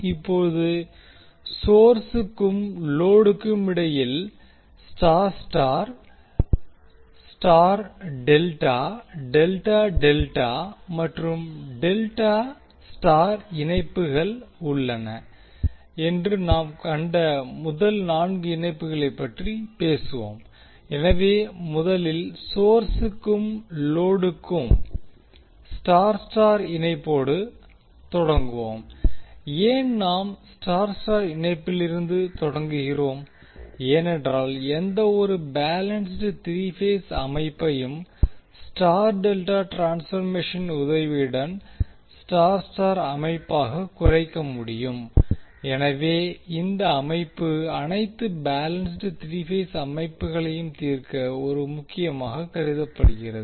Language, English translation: Tamil, Now let us talk about the connections we saw that there are first four possible combinations that is Y Y, Y delta, delta delta and delta Y connections between source and load, so we will first start with Y Y connection for the source and load, why we are starting with Y Y connection because any balanced three phase system can be reduced to a Y Y system with the help of star delta transformation, so therefore this system is considered as a key to solve the all balance three phase system